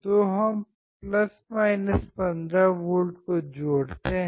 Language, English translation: Hindi, So, let us connect + 15